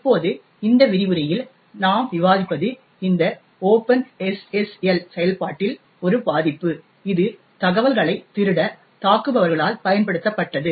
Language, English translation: Tamil, Now, what we will discuss in this particular lecture is one particular vulnerability in this open SSL implementation which had got exploited by attackers to steal informations